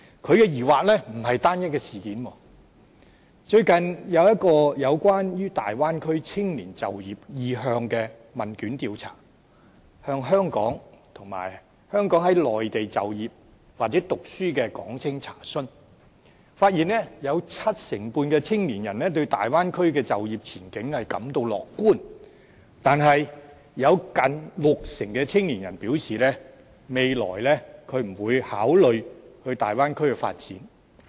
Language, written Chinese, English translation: Cantonese, 他的疑惑並不是單一的事件，最近有一個關於大灣區青年就業意向的問卷調查，向香港和香港在內地就業或讀書的港青查詢，發現有七成半的青年人對大灣區的就業前景感到樂觀，但有近六成的青年人表示未來不會考慮前往大灣區發展。, He is full of queries and this is not a single incident . Recently a questionnaire survey was conducted on the career aspirations of young people in the Bay Area and the target group was the Hong Kong youths working or studying in Hong Kong and the Mainland . It was found out that 75 % of the young people were optimistic about the career prospects in the Bay Area but nearly 60 % of the young people indicated that they would not consider going to the Bay Area for career development